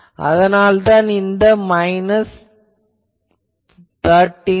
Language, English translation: Tamil, So, that is why minus 13 dB etc